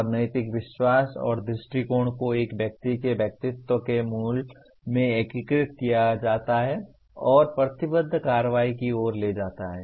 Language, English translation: Hindi, And moral beliefs and attitudes are integrated into the core of one’s personality and lead to committed action